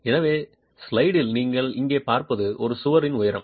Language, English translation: Tamil, So, what you see here in the slide is the elevation of a wall